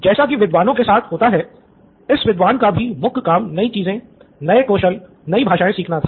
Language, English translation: Hindi, So this particular scholar’s main job was to learn new things, new skills, new languages